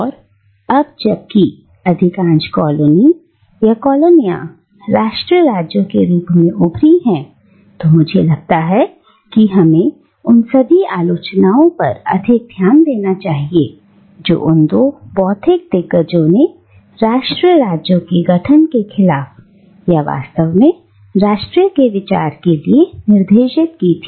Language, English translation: Hindi, And now that most of the erstwhile colonies have emerged as nation states, I think we should pay all the more attention to the criticism that these two intellectual giants directed against the formation of nation states, or in fact, the very idea of nation